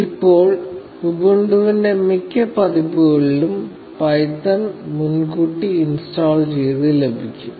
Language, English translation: Malayalam, Now, python comes preinstalled with most versions of Ubuntu